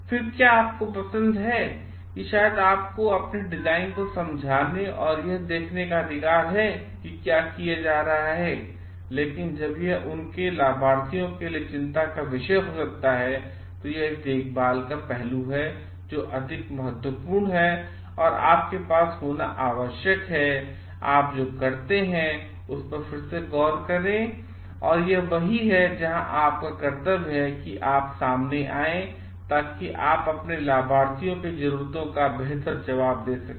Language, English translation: Hindi, Then should you like it is maybe you have the right to explain your design and see it is getting done, but when it is a concern for their beneficiaries may be it is a caring aspect which is more important and you need to have may be a re look into do what you do and it is where your duty to relook comes in, so that you can answer better to the needs of your beneficiaries